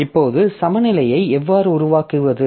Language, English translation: Tamil, Now, how to make a balance